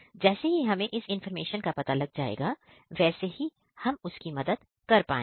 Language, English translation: Hindi, So, as soon as we get this information, we will be able to rescue him